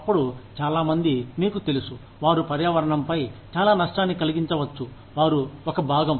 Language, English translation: Telugu, Then, a lot of people, you know, they can inflict, a lot of damage on the environment, they are a part of